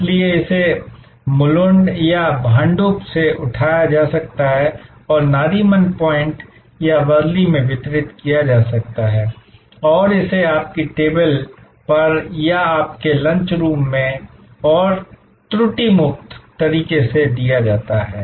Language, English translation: Hindi, So, it might be picked up from Mulund or Bhandup and delivered at Nariman point or Worli and it is delivered right at your table or in your lunch room and flawlessly